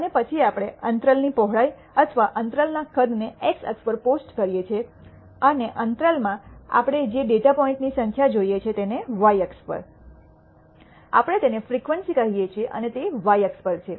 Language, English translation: Gujarati, And then we plot the width of the interval or the interval size of the x axis and the number of data points we see in that interval as the y axis, we call it the frequency and that is on the y axis